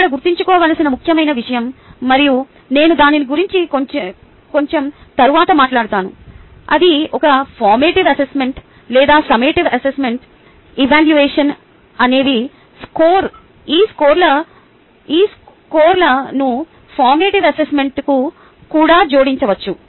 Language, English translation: Telugu, the important thing to remember here and i will talk about it bit later that, be it a formative assessment or summative assessment, evaluation can be, or the scores can be added even to formative assessment